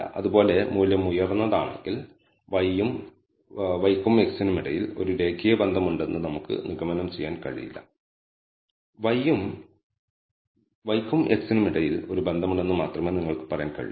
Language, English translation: Malayalam, Similarly if a value is high looking at just the value we cannot conclude that there definitely exists a linear relationship between y and x, you can only say there exists a relationship between y and x